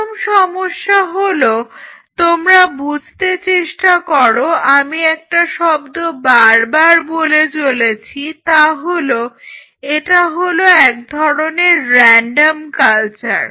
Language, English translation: Bengali, The first problem you try to realize this is the word I have been using very repeatedly is it is a random culture right